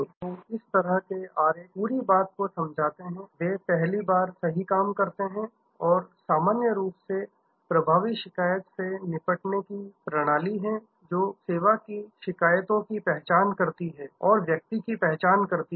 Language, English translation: Hindi, So, this kind of diagram explains the whole thing, they do the job right the first time and usual have effective compliant handling system identify the service complains and identify the person